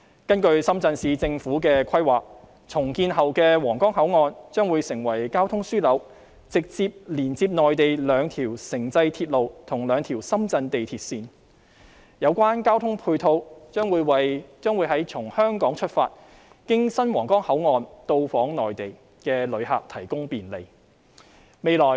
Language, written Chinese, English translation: Cantonese, 根據深圳市政府的規劃，重建後的皇崗口岸將會成為交通樞紐，直接連接內地兩條城際鐵路及兩條深圳地鐵線，有關的交通配套將會為從香港出發經新皇崗口岸到訪內地的旅客提供便利。, According to the planning of the Shenzhen Municipal Government the redeveloped Huanggang Port will become a transportation hub with direct connection to two Mainland intercity transits and two Shenzhen metro lines . This transport connection will provide travel convenience for tourists departing from Hong Kong to the Mainland through the new Huanggang Port